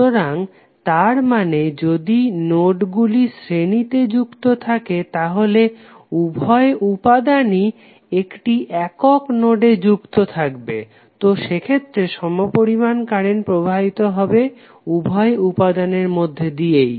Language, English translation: Bengali, So it means that if the nodes are connected in series then they both elements will connected through one single node, So in that case you have the same current flowing in the both of the elements